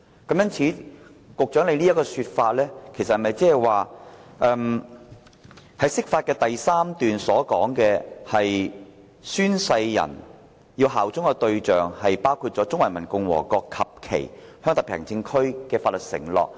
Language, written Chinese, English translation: Cantonese, 局長說《解釋》的第三條說明相關公職人員是對中華人民共和國及其香港特別行政區作出法律承諾。, According to the Secretary Article 3 of the Interpretation explains that relevant public officers are making a legal pledge to PRC and its HKSAR